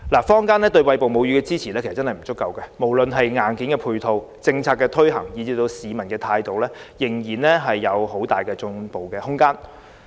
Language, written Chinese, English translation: Cantonese, 坊間對餵哺母乳的支援確實不足，無論在硬件配套、政策推行，以至市民的態度，仍有很大進步空間。, There is actually insufficient support for breastfeeding in the community . In terms of hardware support policy implementation and public attitude there is still much room for improvement